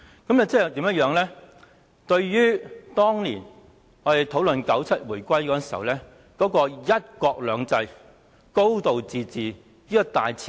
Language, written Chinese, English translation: Cantonese, 這做法完全違反及破壞1997年回歸時所討論的"一國兩制"、"高度自治"的大前提。, Such practice has definitely violated and damaged the premise of one country two systems and a high degree of autonomy discussed at the time of reunification in 1997